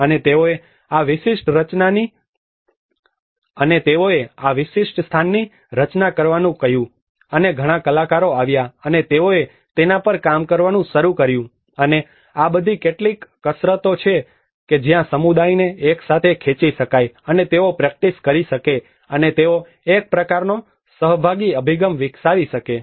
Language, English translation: Gujarati, And they asked to design this particular place, and many artists came, and they started working on that, and these are all some exercises where to pull the community together, and they can practice, and they can develop a kind of participatory approaches